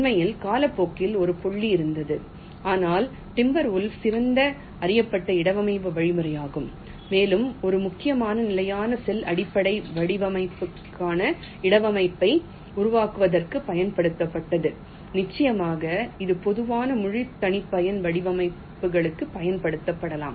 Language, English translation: Tamil, in fact, there was a pointing time, for timber wolf has the best known placement algorithm and it was mainly used for creating placement for standard cell base designs and of course, it can be used for general full custom designs also